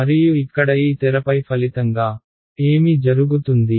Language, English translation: Telugu, And as a result of this over here on this screen, what happens